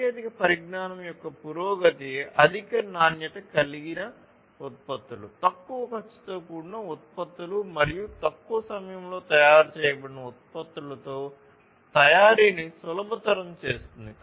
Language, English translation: Telugu, So, advancement in technology basically facilitates manufacturing with higher quality products, lower cost products and products which are manufactured in reduced time